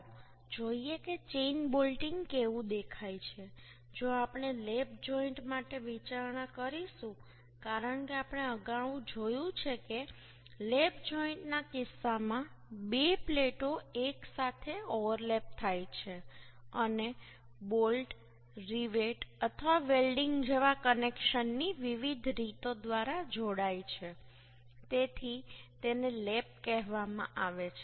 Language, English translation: Gujarati, if we will consider, say, for lap joint, as we see earlier, in case of lap joint, the two plates are overlapped together and are joined by different way of connection, like bolt, rivet or welding, so this is called lap